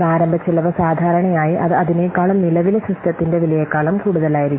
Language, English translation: Malayalam, So the initial cost, normally it will exceed than that of the cost of the current system